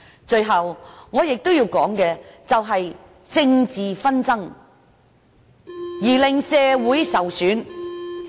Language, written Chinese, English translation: Cantonese, 最後，我亦要談談政治紛爭令社會受損的問題。, At last I would also like to talk about the damage to society as a result of political conflicts